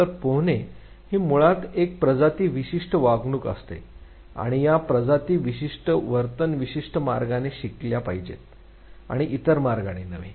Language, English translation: Marathi, So, swimming is basically a species specific behavior and this species specific behavior has to be learned in certain way and not in the other ways